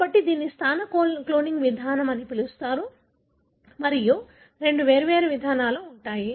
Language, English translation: Telugu, So, that is called as, you know, positional cloning approach and there are two different approaches